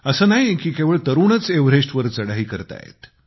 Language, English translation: Marathi, And it's not that only the young are climbing Everest